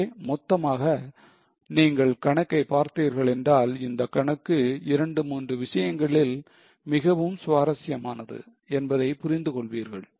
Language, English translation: Tamil, So, overall, if you see the problem once again, you will realize that this is a very interesting problem for two, three things